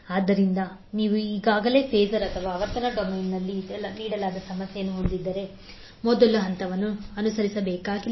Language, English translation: Kannada, So that means if you already have the problem given in phasor or frequency domain, we need not to follow the first step